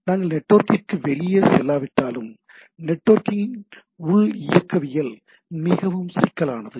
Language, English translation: Tamil, Even if we do not go outside the network itself, the internal dynamics of the network is extremely complicated, right